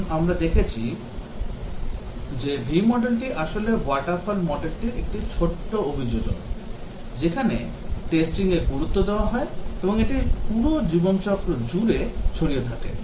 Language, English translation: Bengali, Now, we saw that the V model actually is a small adaptation of the waterfall model, where the testing is given importance and is spread over entire life cycle